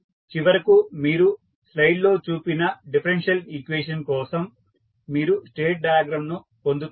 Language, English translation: Telugu, So, finally you get the state diagram for the differential equation which we just shown in the slide